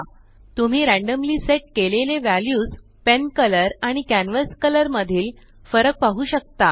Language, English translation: Marathi, You can see the difference in randomly set values of pen color and canvas color